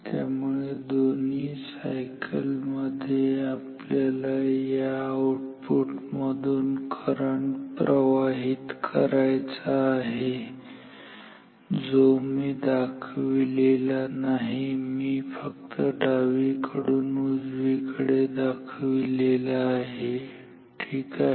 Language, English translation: Marathi, So, in both the cycles we would like the current to flow here in the output which I have not drawn it from left to right only ok